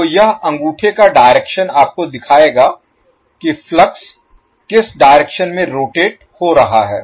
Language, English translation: Hindi, So this thumb direction will show you how and in what direction you are flux is rotating